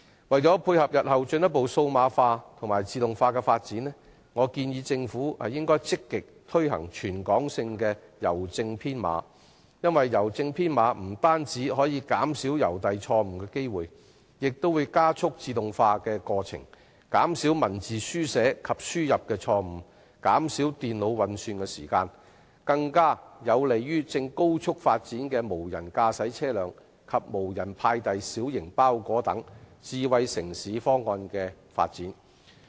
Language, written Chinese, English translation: Cantonese, 為配合日後進一步數碼化和自動化的發展，我建議政府積極推行全港性的郵政編碼，因為郵政編碼不單可減少郵遞錯誤機會，而且可加速自動化，減少文字書寫及輸入錯誤和電腦運算時間，對於正高速發展的無人駕駛車輛及無人派遞小型包裹等智慧城市方案的發展更為有利。, In order to complement the future development of further digitization and automation I propose that the Government should actively implement a system of territory - wide postcode because postcodes can not only minimize delivery errors but also expedite automation and reduce writing entry mistakes and computing time . It is even more conducive to the rapidly - developing smart city development plans such as autonomous vehicles and unmanned delivery of small parcels